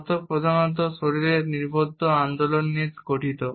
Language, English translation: Bengali, Adopters principally comprise body focused movements